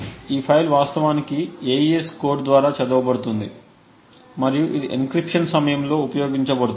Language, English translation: Telugu, This file is actually read by the AES code and it is used during the encryption